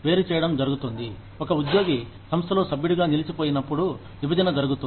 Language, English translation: Telugu, Separation occurs, when an employee ceases to be, a member of the organization